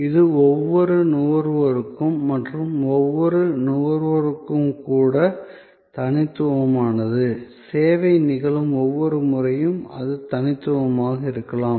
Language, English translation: Tamil, It is unique for each consumer and even for the same consumer; it may be unique every time, the service occurs